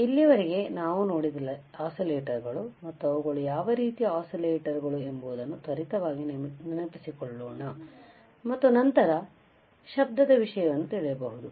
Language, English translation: Kannada, So, let us quickly recall what are the oscillators, and what are the kind of oscillators, and then we will we will move to the noise ok